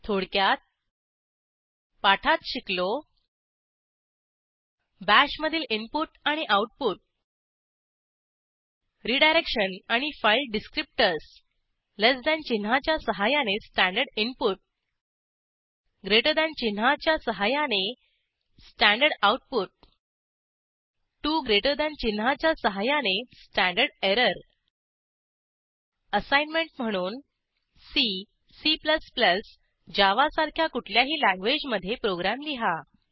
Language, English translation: Marathi, In this tutorial we learnt Input and output in Bash Redirection and file descriptors Standard input using lt symbol Standard output using gt symbol Standard error using 2gt As an assignment, Write a program in any language like C, C++, Java